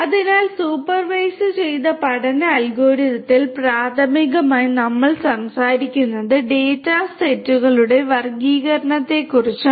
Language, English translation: Malayalam, So, in supervised learning algorithm, primarily we are talking about classification of data sets